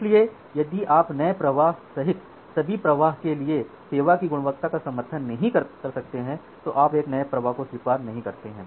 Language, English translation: Hindi, So, you do not admit a new flow if you cannot support quality of service for all the flows including the new flows